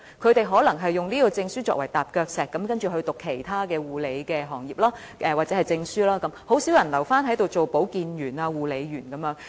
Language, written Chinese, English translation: Cantonese, 他們可能以有關證書作為踏腳石，然後再修讀其他關於護理的證書課程，很少人留下做保健員或護理員。, They may take the certificate concerned as a stepping stone to study other nursing certificate courses and only a few will stay in the sector as health workers or personal care workers